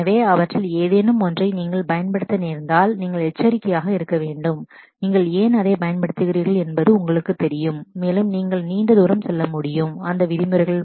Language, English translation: Tamil, So, if you happen to use any one of them, then you should be cause a cautious that you know you really know why you are using it and you would be able to go a long way in terms of that